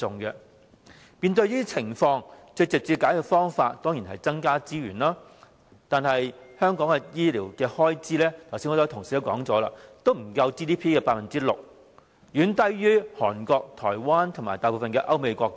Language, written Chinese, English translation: Cantonese, 面對這些情況，最直接的解決方法當然是增加資源，但正如剛才很多同事指出，香港的醫療開支不足 GDP 的 6%， 遠低於韓國、台灣及大部分歐美國家。, In the face of such circumstances the most direct solution is of course to increase resources . However as pointed out by many Honourable colleagues already the healthcare expenditure in Hong Kong is less than 6 % of Gross Domestic Product GDP far lower than that in Korea Taiwan and most European and American countries